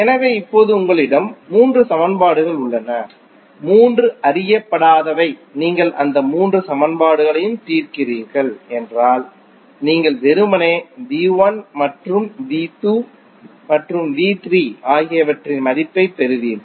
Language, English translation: Tamil, So, now you have three equations, three unknown if you solve all those three equations you will get the simply the value of V 1, V 2 and V 3